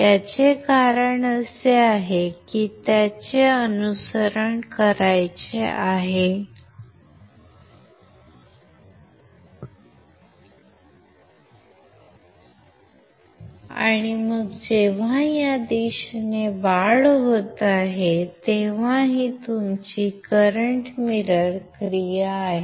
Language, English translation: Marathi, This is because it has to follow and then this is when it is increasing in this one in this direction, this is your current mirror action